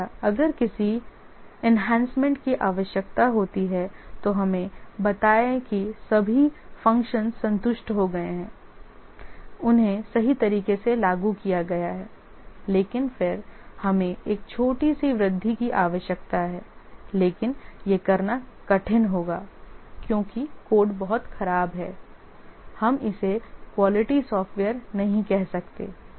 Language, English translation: Hindi, Similarly, if any enhancements are needed, let's say all the functionalities were satisfied, have been implemented correctly, but then you need a small enhancement, but it will be hard to do because the code is very bad